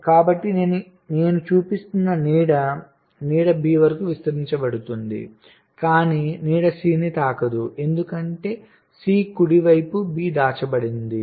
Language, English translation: Telugu, the shadow is being extended to b, but the shadow does not touch c because c is hidden by b right